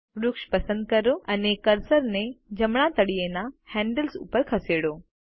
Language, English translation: Gujarati, Select the tree and move the cursor over the bottom right handle